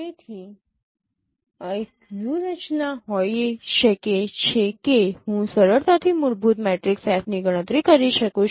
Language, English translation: Gujarati, So one of the strategy could be that I can easily compute fundamental matrix f